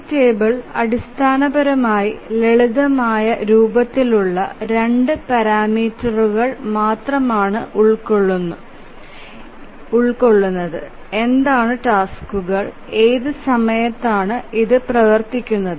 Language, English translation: Malayalam, This table basically contains only two parameters in the simplest form that what are the tasks and what are the time for which it will run